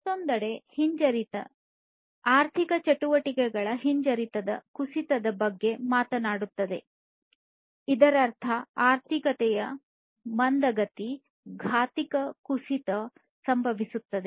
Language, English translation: Kannada, Recession on the other hand, talks about the decline in the economic activity recession; that means, slowing down, slowdown of the economy